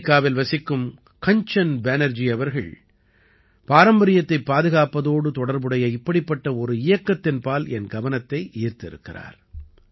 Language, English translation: Tamil, Shriman Kanchan Banerjee, who lives in America, has drawn my attention to one such campaign related to the preservation of heritage